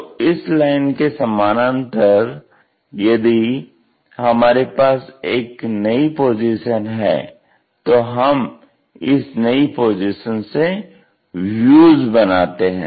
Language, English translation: Hindi, So, parallel to that line if we are new position to construct around that we will bring new position to construct the views